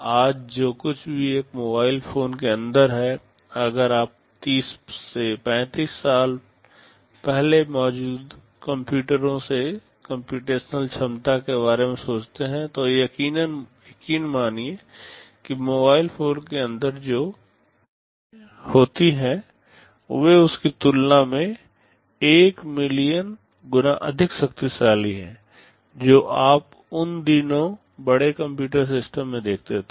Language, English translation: Hindi, Whatever is inside a mobile phone today, if you think of the computational capability of the computers that existed 30 to 35 years back, believe me the processes that are inside a mobile phone are of the tune of 1 million times more powerful as compared to what you used to see in the large computer systems in those days